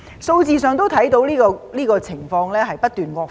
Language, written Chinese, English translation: Cantonese, 數字上可以看到這情況不斷惡化。, We can see from the figures that this situation has been worsening